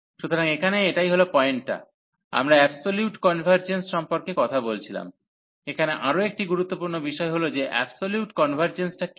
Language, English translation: Bengali, So, this is the point here, we were talking about the absolute convergence, another important factor here that what is the absolute convergence